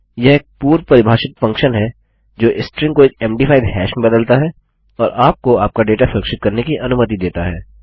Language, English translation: Hindi, Its a predefined function that converts a string to a MD5 hash and allows you to secure your data